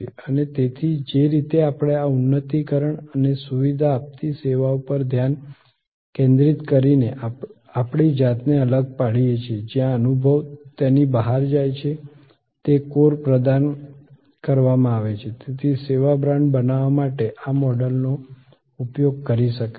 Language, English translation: Gujarati, And therefore, the way we distinguish ourselves by focusing on these enhancing and facilitating services where the experience goes beyond it is provided by the core, one can use this model therefore to create the service brand